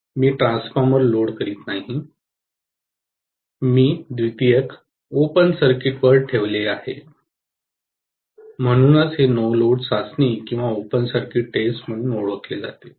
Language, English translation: Marathi, I am not loading the transformer, I have kept the secondary on open circuit, that is the reason this is known as no load test or open circuit test